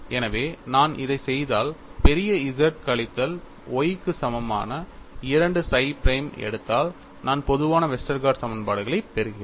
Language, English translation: Tamil, So, if I do this and if I take 2 psi prime equal to capital Z minus Y, I get the generalised Westergaard equations